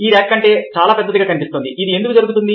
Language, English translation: Telugu, this line looks much larger than this line